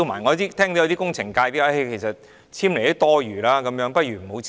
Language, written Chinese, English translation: Cantonese, 我聽到有工程界人士表示，簽署也是多餘的，倒不如不用簽。, I have heard some members in the engineering sector say that the signing of the form is redundant and may as well be abolished